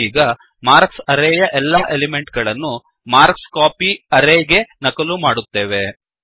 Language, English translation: Kannada, We are going to copy all the elements of the array marks into the array marksCopy